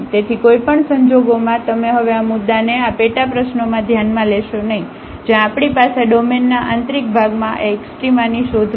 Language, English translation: Gujarati, So, in any case you will not consider this point now in this sub problem where we have we are looking for this extrema in the interior of the domain